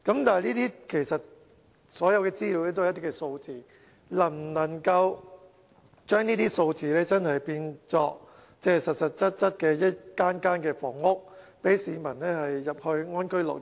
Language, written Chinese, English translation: Cantonese, 但是，所有資料其實都是一些數字，能否將這些數字變成實質一間間房屋，讓市民入住，安居樂業？, After all the information is simply some sort of figures but the main point is how to turn these figures on paper into physical housing units where the people can live and lead a stable and happy life